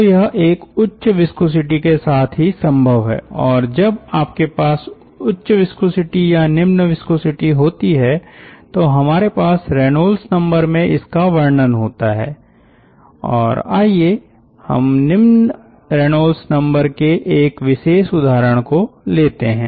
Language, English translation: Hindi, and ah, when you have high viscosity or low viscosity, we have ah the characterizations through the reynolds number, and let us see a particular case, say a low reynolds number case